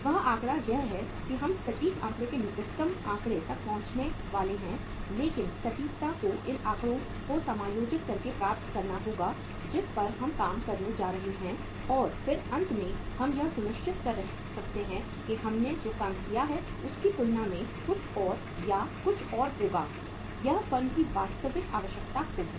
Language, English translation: Hindi, That figure is that we are going to arrive at the say uh say figure nearest to the accurate figure but accuracy has to be achieved by internally adjusting these figures we are going to work out and then finally we can make out that something more or something else as compared to this we have worked out will be the actual requirement of the firm